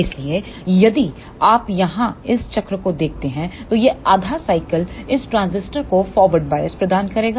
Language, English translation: Hindi, So, if you see here this cycle this half cycle will provide the forward bias to this transistor